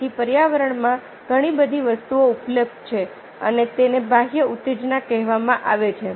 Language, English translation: Gujarati, so there are lots of things available in the environment and these are called external stimuli